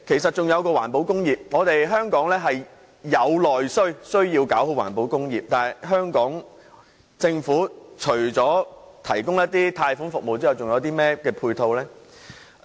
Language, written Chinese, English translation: Cantonese, 代理主席，香港有內需，必須做好環保工業，但香港政府除提供一些貸款服務之外，似乎再沒有其他配套。, Deputy President there is domestic demand in Hong Kong so we must perform well in the environmental protection industry . Yet apart from the provision of certain loan services the Hong Kong Government has not offered any supportive measures